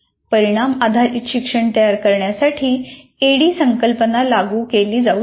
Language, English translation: Marathi, And ADI, this ADD concept can be applied for constructing outcome based learning